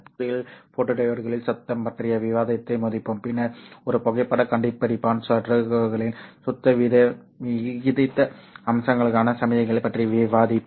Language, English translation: Tamil, In this module we will complete the discussion of noise in photodiodes and then discuss the signal to noise ratio aspects of a photodetector circuit